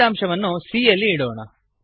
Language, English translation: Kannada, The result of division is stored in c